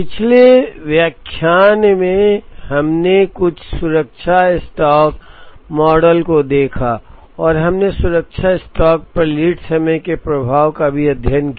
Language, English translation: Hindi, In the previous lecture, we looked at some safety stock models and we also studied the impact of lead time on the safety stock